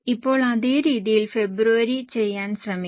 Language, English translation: Malayalam, Now same way try to do it for Feb